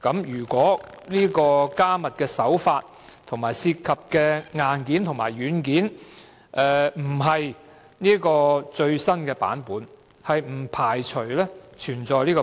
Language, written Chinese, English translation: Cantonese, 如果加密手法和涉及的硬件和軟件並非最新版本，不排除存在保安漏洞。, If the encryption and the hardware and software concerned are not of the most up - to - date version they do not rule out the possibility that there may be vulnerability in the security system